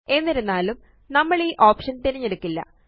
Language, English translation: Malayalam, However, in this case we will not choose this option